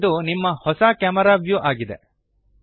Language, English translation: Kannada, Now, this is your new camera view